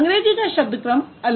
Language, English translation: Hindi, So that English has a different word order